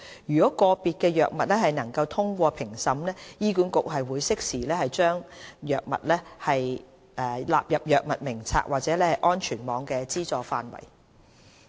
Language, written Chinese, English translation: Cantonese, 如個別新藥物能通過評審，醫管局會適時把該藥納入藥物名冊或安全網的資助範圍。, HA will include approved drugs in the Drug Formulary or under the coverage of the safety net as appropriate